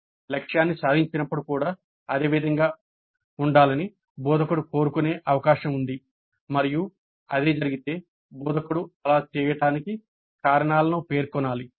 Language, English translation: Telugu, It is also possible that the instructor may wish to keep the target as the same even when it is achieved and if that is the case the instructor has to state the reasons for doing so